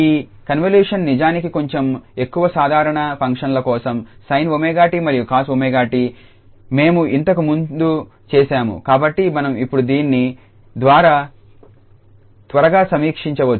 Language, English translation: Telugu, And this convolution indeed for less slightly more general functions sin omega t and cos omega t we have done before, so we can quickly go through this now